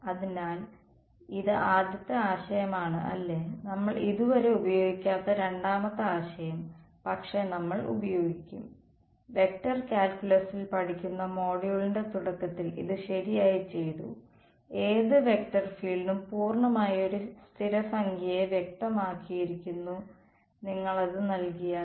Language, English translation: Malayalam, So, this is the first idea right the second idea that we are yet to use, but we will use is that we are done this right in the beginning of the module studying in vector calculus, that any vector field is completely specified up to a constant if you give its